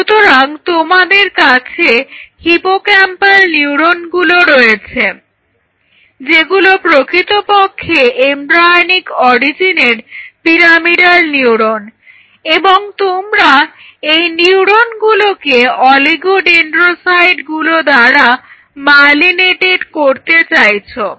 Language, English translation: Bengali, So, you have hippocampal neurons which are basically the pyramidal neurons of embryonic origin and he wanted them to get myelinated with oligodendrocytes